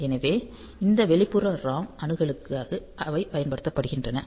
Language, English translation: Tamil, So, they are used for this external ROM access